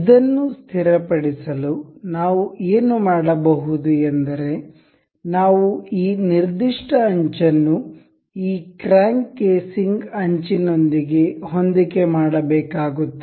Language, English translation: Kannada, To fix this, what we can do is we will have to coincide this particular edge with the edge of this crank casing